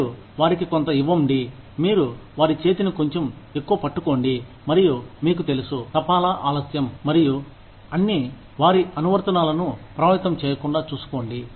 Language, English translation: Telugu, You give them some, you hold their hand, for little bit more, and make sure that, you know, delays in postage and all, do not affect their applications